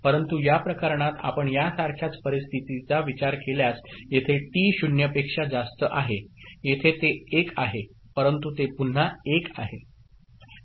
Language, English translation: Marathi, But in this case, if you consider a similar scenario say T is 0 over here over here over here it is 1, but it is remaining 1 again